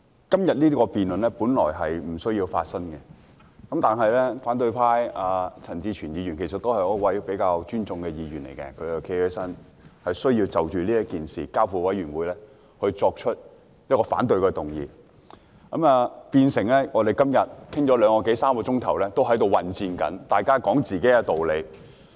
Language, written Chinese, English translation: Cantonese, 今天這項辯論本來不會發生，但反對派的陳志全議員——他是一位我比較尊重的議員——站起來提出一項反對將這項譴責議案所述的事宜交付調查委員會處理的議案，於是，我們今天像處於混戰中，辯論了兩三小時，各自說自己的道理。, This debate today should not have taken place but for the motion proposed by Mr CHAN Chi - chuen of the opposition camp―well he is a Member whom I quite respect―to oppose referring the matter stated in the motion to an investigation committee . Consequently we are like engaging in a free fight making our own points in the debate which has gone on for some two to three hours